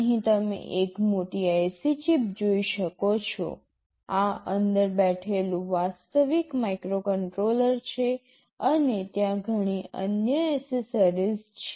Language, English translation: Gujarati, Here you can see a larger IC chip here, this is the actual microcontroller sitting inside and there are many other accessories